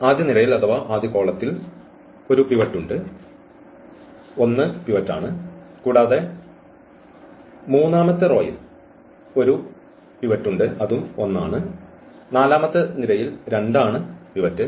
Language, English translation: Malayalam, So, the 1 is the pivot and also this 1 is the pivot and this 2 is the pivot